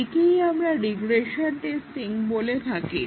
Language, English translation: Bengali, Today, we look at regression testing